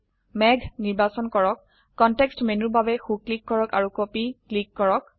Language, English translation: Assamese, Select the cloud, right click for the context menu and click Copy